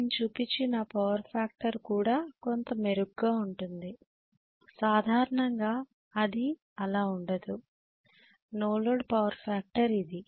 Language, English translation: Telugu, Even the power factor I have shown is somewhat better generally it will not be that way, no load power factor is this, right